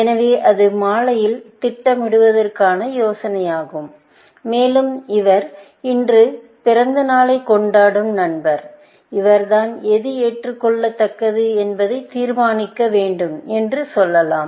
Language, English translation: Tamil, So, that is the idea of planning in evening, and let us say, it is friend, whose birthday it is, who is yet, to decide what is acceptable